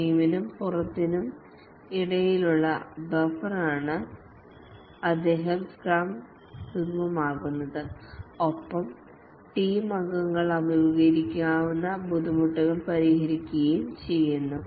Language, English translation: Malayalam, He facilitated the scrum is the buffer between the team and the outside interference and resolves any difficulties that the team members might be facing